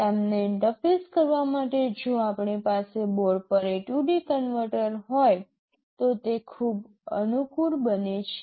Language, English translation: Gujarati, In order to interface them if we have an A/D converter on board it becomes very convenient